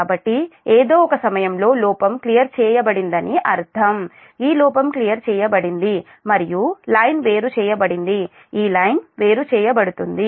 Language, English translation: Telugu, so at some point that fault is cleared, that means this fault is cleared and line is isolated